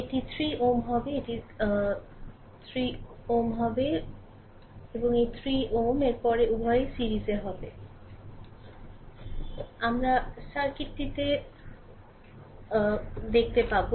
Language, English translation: Bengali, And this 3 ohm and this 3 ohm then both will be in series later we will see the circuit right